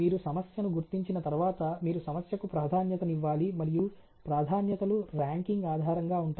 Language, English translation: Telugu, Once you identify the problem, you prioritize the problem, and priority is are based on the ranking